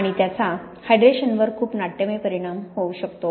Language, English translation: Marathi, And this can have quite a dramatic effect on the hydration